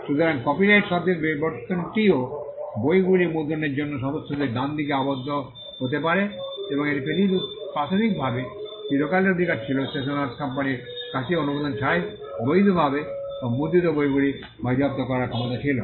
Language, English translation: Bengali, So, the evolution of the word copyright also can be tied to the right of the members to print books and it was initially a perpetual right the stationer’s company also had the power to confiscate books that were illegally or printed without their authorisation